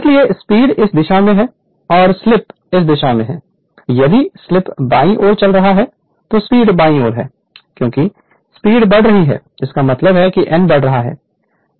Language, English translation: Hindi, That is why speed is this this direction and slip is your this direction if slip is moving from right to left and speed is your what you call left to right right because speed is increasing speed is increasing means that your what you call this suppose if n is increasing